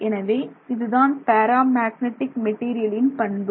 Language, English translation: Tamil, So, this is how the ferromagnetic material behaves